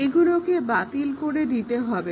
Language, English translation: Bengali, They have to be thrown